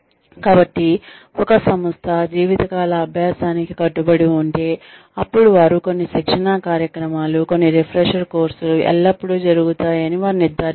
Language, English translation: Telugu, So, if an organization is committed, to lifelong learning, then they ensure that, some training program, some refresher course, is always going on